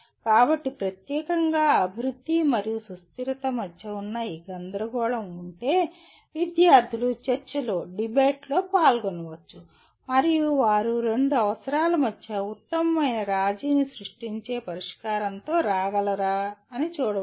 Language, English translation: Telugu, So if a particular, this dilemma that exist between development and sustainability the students can participate in a debate and see whether they can come with a solution that creates the best compromise between the two requirements